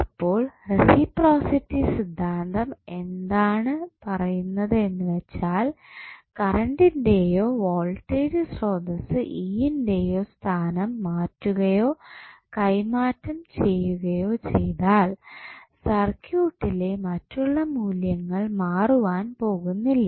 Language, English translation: Malayalam, So, what reciprocity theorem says that if you replace if you exchange the locations of this current and voltage source, E, then the other values are not going to change in the circuit